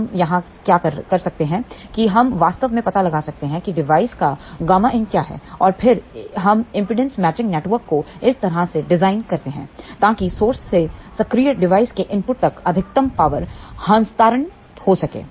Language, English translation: Hindi, What we can to here that we can actually find out what is the gamma input of the device and then, we design impedance matching network such a way that maximum power transfer takes place from the source to the input of the active device